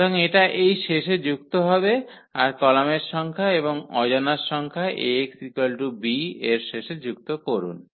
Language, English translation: Bengali, So, this will add to the end here which are the number of columns or the number of unknowns in Ax is equal to b